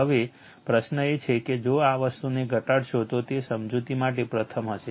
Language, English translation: Gujarati, Now, question is that just if, you reduce the this thing it will be first for your explanation